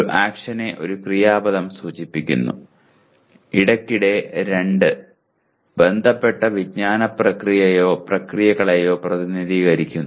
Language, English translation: Malayalam, An action is indicated by an action verb, occasionally two, representing the concerned cognitive process or processes, okay